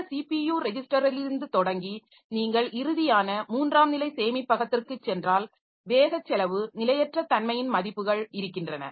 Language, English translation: Tamil, And this way starting from this CPU registers if you go to the final tertiary storage we have different values for this speed cost and volatility figures